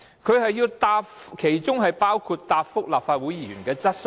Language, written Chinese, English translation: Cantonese, 政府的工作包括答覆立法會議員的質詢。, The work of the Government includes replying questions raised by Members of the Legislative Council